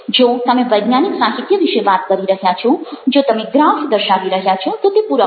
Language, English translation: Gujarati, if you are talking about scientific literature, if you showing graphs, the visual again is a supplement